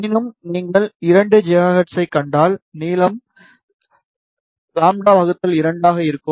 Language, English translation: Tamil, However, if you see around 2 gigahertz, the length will be around lambda by 2